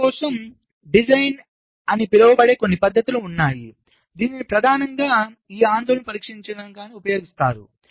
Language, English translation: Telugu, there are some techniques, called design for testability, which is used, primary, to address this concern